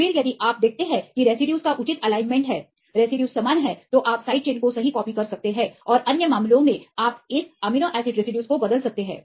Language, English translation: Hindi, Then if you see there are proper alignment of residues, the residues are same, then you can copy the side chains right and other cases you can replace this amino acid residues